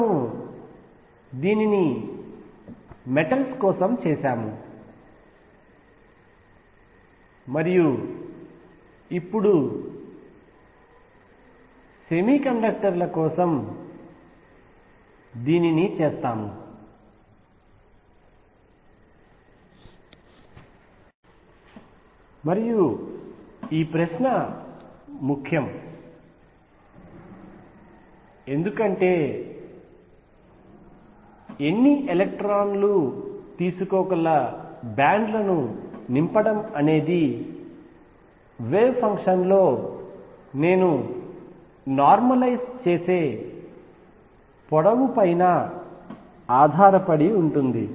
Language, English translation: Telugu, We did this for metals we did this for semiconductors just now and this question is important because filling of bands how many electrons can take depends on precisely over what length am I normalize in the wave function